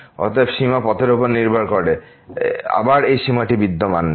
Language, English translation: Bengali, Therefore, the limit depends on the path and again, this limit does not exist